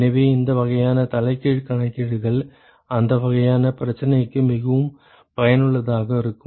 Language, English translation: Tamil, So, these kinds of reverse calculations are very very useful for that kind of problem